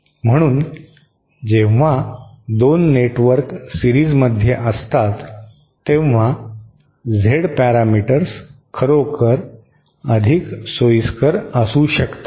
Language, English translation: Marathi, So, when 2 networks are in series, Z parameters might actually be more convenient